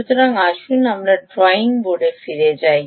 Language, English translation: Bengali, ok, so lets go back to the drawing board